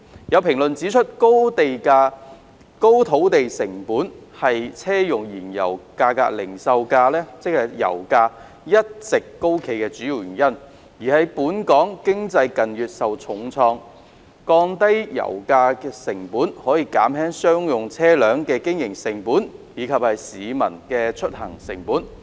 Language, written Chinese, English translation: Cantonese, 有評論指出，高土地成本是車用燃油零售價一直高企的主因，而本港經濟近月受疫情重創，降低油價可減輕商業車輛的經營成本及市民的出行成本。, There are comments that high land cost is the main cause for the persistently high retail prices of auto - fuels and with Hong Kongs economy having been hard hit by the epidemic in recent months reduction in pump prices can reduce the operating costs for commercial vehicles and the commuting costs of members of the public